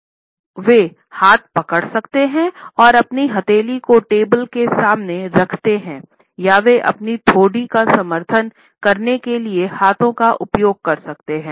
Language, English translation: Hindi, Either they can clench the hand and hold them in their palm in front of the table all they can use the clenched hands to support their chin